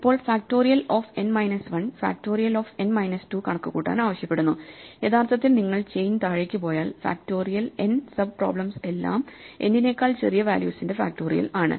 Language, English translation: Malayalam, Now in turn factorial of n minus 1 requires us to compute factorial n minus 2, so actually if you go down the chain, the factorial n sub problems are all the factorials for values smaller than n